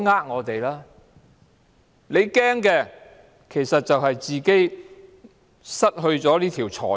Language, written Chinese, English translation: Cantonese, 如果政府害怕，只是害怕自己失去這條財路。, If the Government is worried it is worried only about losing this means to reap a profit